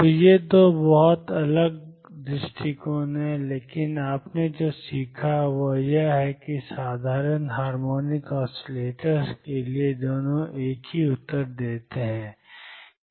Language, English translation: Hindi, So, these 2 are very different approaches, but what you learnt is that for simple harmonic oscillators both give the same answers